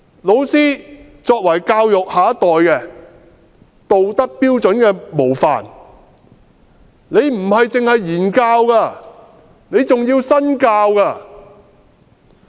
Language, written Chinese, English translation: Cantonese, 老師作為教育下一代的道德標準模範，不只是言教，還要身教。, Teachers are role models of morality for the next generation . They must practise what they teach